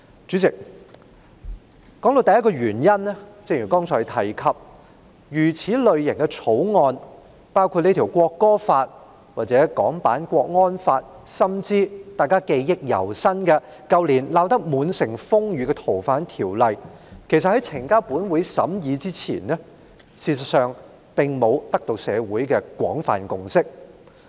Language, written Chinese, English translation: Cantonese, 主席，我提出的第一個原因是，正如剛才提到這類型的法案，包括《條例草案》或港區國安法，甚至是大家記憶猶新、在去年鬧得滿城風雨的《逃犯條例》，其實在呈交本會審議之前，並未取得社會的廣泛共識。, Chairman the first reason that I wish to raise is as I have mentioned earlier for this type of bills including the Bill or the national security law in Hong Kong or even the Fugitive Offenders Ordinance FOO which stirred up considerable uproar last year and is still vivid in our memory no broad consensus has in fact been reached in society prior to their presentation to this Council for scrutiny